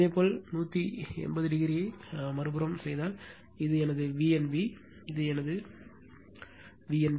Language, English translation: Tamil, So, if you make 180 degree other side, this is my V n b, this is my V n b